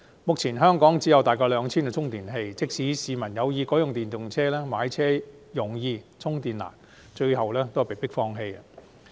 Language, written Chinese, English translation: Cantonese, 目前香港只有大約 2,000 個充電器，即使市民有意改用電動車，但因買車容易充電難，只好放棄。, Currently there are only some 2 000 charging facilities throughout the territory . Even if people do have the intent to switch to electric vehicles they eventually have to give up because the purchase of such cars is easy but charging is difficult